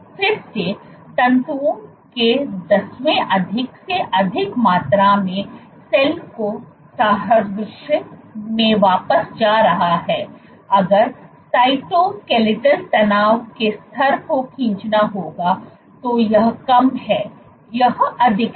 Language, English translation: Hindi, Again, going back to the analogy of cell as a tenth greater amount of stress fibers, if would to draw tension the level of cytoskeletal tension, this is low, this is high